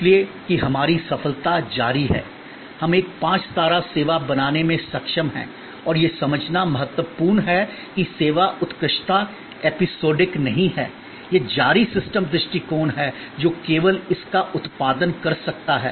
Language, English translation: Hindi, So, that our success is continues, we are able to create a five star service and it is important to understand that service excellence is not episodic, it is a continues systems approach that can only produce it